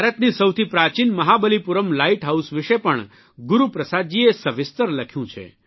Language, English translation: Gujarati, Guru Prasad ji has also written in detail about the oldest light house of India Mahabalipuram light house